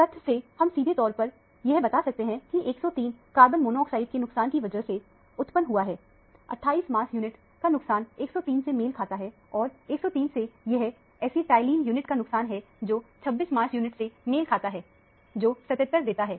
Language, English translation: Hindi, We can straight away tell from the fact that, the 103 is produced by the loss of carbon monoxide – loss of 28 mass unit corresponds to 103 and from 103, it is a loss of an acetylene unit corresponding to 26 mass unit, which gives a 77